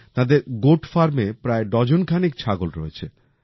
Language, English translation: Bengali, There are about dozens of goats at their Goat Farm